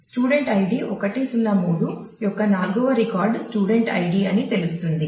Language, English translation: Telugu, So, which tells me that student id the fourth record of the student ID 103 is a result